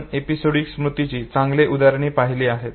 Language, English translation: Marathi, We have seen good number of examples of episodic memory